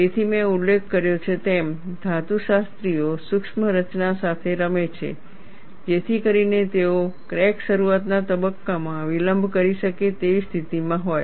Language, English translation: Gujarati, So, as I mentioned, the metallurgists play with the micro structure, so that they are in a position to delay the crack initiation phase, and mean stress thus play a role